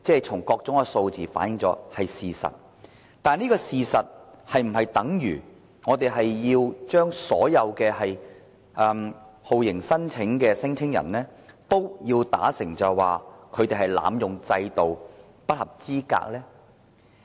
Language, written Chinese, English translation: Cantonese, 從各種數字反映，這是事實，但這是否等於我們要把所有酷刑聲請人說成濫用制度、不合資格呢？, As various figures have indicated this is true . However does it mean that we should describe all torture claimants as some unqualified people abusing our system?